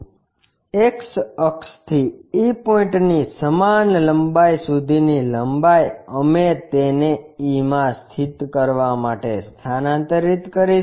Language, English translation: Gujarati, The length from X axis to e point same length we will transfer it to locate it to e